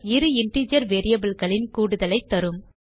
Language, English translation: Tamil, So this method will give us the sum of two integer variables